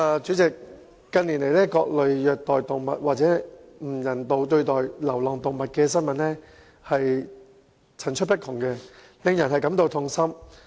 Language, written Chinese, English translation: Cantonese, 主席，近年，各類虐待動物或不人道對待流浪動物的新聞層出不窮，令人感到痛心。, President in recent years there has been an endless stream of news stories about different forms of animal cruelty or inhumane treatment of stray animals . This is heart - rending